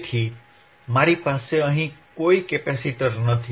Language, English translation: Gujarati, So, I have no capacitor here